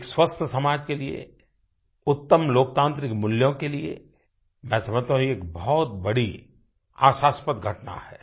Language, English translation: Hindi, For a healthy society, and for lofty democratic values I feel that, it is a very hope inspiring event